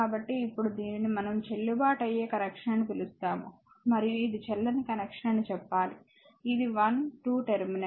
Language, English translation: Telugu, So, now, this one you have to tell which is we are what you call valid connection and which is invalid connection that is the thing look this is 1 2 terminal